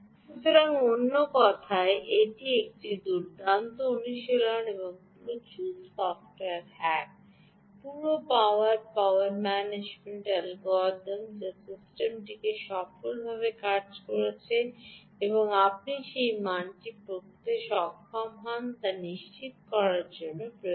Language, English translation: Bengali, so, in other words, ah, this is a nice exercise and lot of software hacks, ah, whole lot of power management, ah algorithm, ah, which is required to ah ensure that the system is working successfully and you are able to read that value